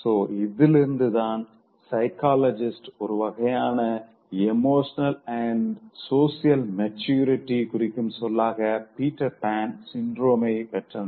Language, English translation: Tamil, So from this psychologist derived the term the Peter syndrome, which indicates a kind of emotional and social immaturity